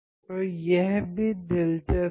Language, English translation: Hindi, So, that is even interesting right